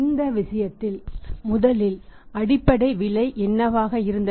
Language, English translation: Tamil, In this case go for this first thing is what was the base price